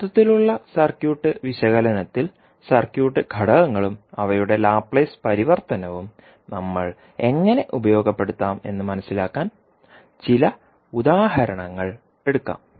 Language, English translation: Malayalam, So now, let us take some examples so that we can understand how we will utilize the circuit elements and their Laplace transform in the overall circuit analysis